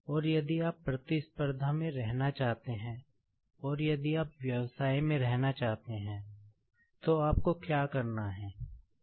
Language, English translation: Hindi, And, if you want to be in competition, and if you want to be in business, what you will have to do is